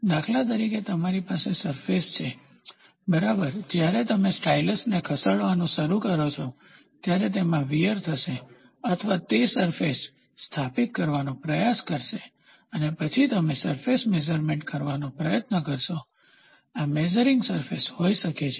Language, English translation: Gujarati, For example; you have a surface, right, this surface first as and when you start moving the stylus, it will have a running in wear or it will try to establish a surface and then you will try to have a measuring surface, may be this is the measuring surface